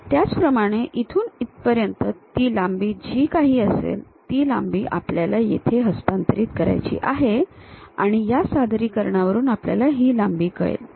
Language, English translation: Marathi, Similarly, from here to here whatever that length is there, we have to transfer that length here and from this projection we know this length